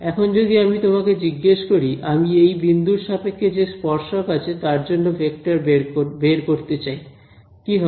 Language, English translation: Bengali, Now if I asked you at this point over here, I want to find out the vector corresponding to the tangent at this point ok